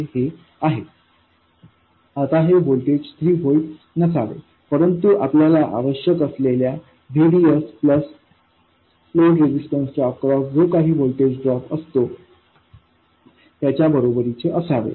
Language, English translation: Marathi, Now, this voltage should not be 3 volts, but it is equal to whatever VDS you need plus whatever drop you have across the load resistor